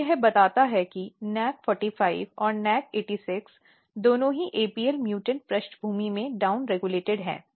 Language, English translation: Hindi, So, this tells that the both NAC45 and NAC86 are down regulated in apl mutant background